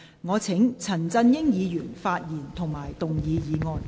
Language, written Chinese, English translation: Cantonese, 我請陳振英議員發言及動議議案。, I call upon Mr CHAN Chun - ying to speak and move the motion